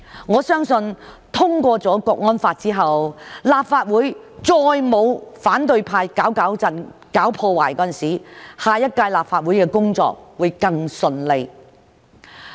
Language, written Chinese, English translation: Cantonese, 我相信通過了《香港國安法》之後，立法會再沒有反對派"搞搞震"、搞破壞，下一屆立法會的工作會更順利。, I believe that with the enactment of the National Security Law there will not be any more trouble - making activities by the opposition camp and the next Legislative Council can work smoothly